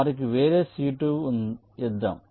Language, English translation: Telugu, lets give them separate c two